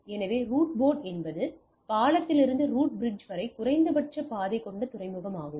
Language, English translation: Tamil, So, the root port is the port with least cost path from the bridge to the root bridge